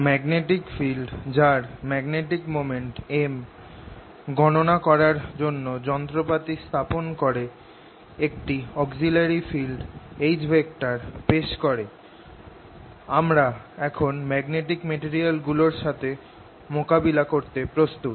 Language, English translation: Bengali, having set up our machinery for calculating magnetic field with magnetic moment m, having introduces an auxiliary field h, we are now ready to deal with magnetic materials